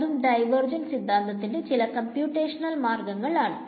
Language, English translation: Malayalam, This is again a very computational idea of the divergence theorem